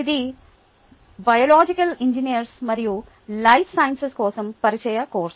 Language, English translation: Telugu, this is for the introductory life sciences for biological engineers course